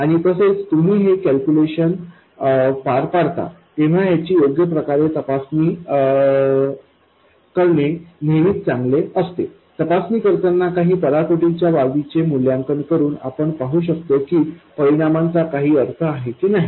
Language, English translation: Marathi, And also when you carry out these calculations, it is always good to have some sort of sanity checks, some checks where by evaluating some extreme cases you can see whether the answer makes sense or not